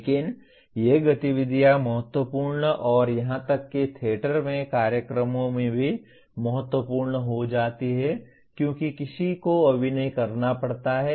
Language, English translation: Hindi, But these activities become important and even dominant in course/ in programs in theater because one has to act